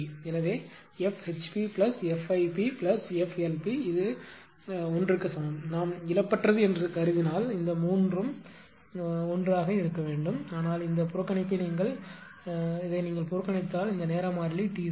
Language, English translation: Tamil, So, F HP plus a F IP plus F LP, this actually together is equal to 1 if we assume lossless right these 3 should be 1, but if you neglect this neglect this time constant T c